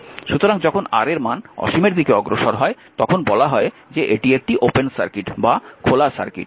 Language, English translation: Bengali, So, it is called when R tends to infinity means is says it is an open circuit, right